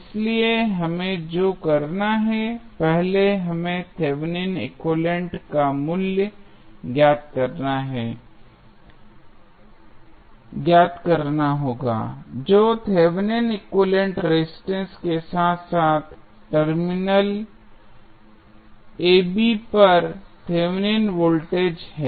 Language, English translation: Hindi, So, what we have to do we have to first find the value of Thevenin equivalent that is Thevenin equivalent resistance as well as Thevenin voltage across the terminal AB